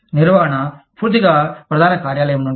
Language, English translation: Telugu, Managing, totally from headquarters